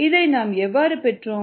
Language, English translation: Tamil, how ah did we get at this